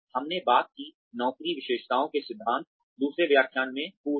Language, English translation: Hindi, We talked about, the job characteristics theory, in the previous, in the second lecture